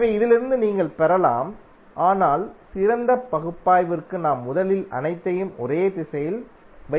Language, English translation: Tamil, So from this you can get but for better analysis we first keep all of them in one direction and solve it